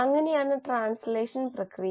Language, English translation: Malayalam, So that is the process of translation